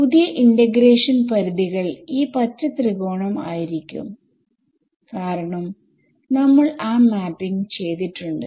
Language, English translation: Malayalam, The new integration limits will be this green triangle, because we have done that mapping